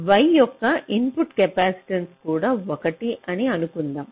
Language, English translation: Telugu, lets assume that the input capacitance of y is also one